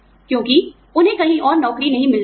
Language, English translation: Hindi, Because, they are not able to find a job, anywhere else